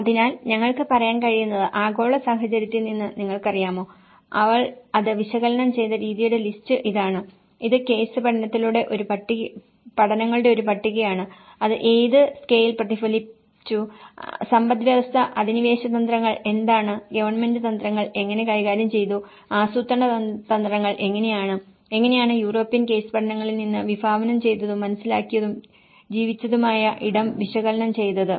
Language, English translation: Malayalam, So, what we can say is you know, from the global scenario, there is, this is the list of the way she have analyzed it, this is a list of the case studies and what scale it has been reflected and what is the economy occupation strategies and what and how the government have dealt with the strategies and how the planning strategies are that is where how the conceived and the perceived, lived space have been analyzed from the European case studies